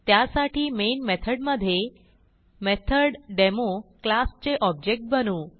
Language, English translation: Marathi, So inside the Main method, we will create an object of the classMethodDemo